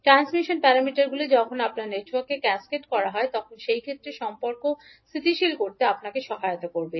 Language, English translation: Bengali, So the transmission parameters will help you to stabilise the relationship in those cases when you have cascaded networks